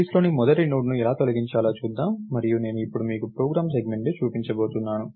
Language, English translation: Telugu, So, lets see how to delete the very first Node in the list, and I am going to show you a program segment now